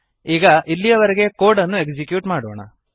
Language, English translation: Kannada, Now lets execute the code till here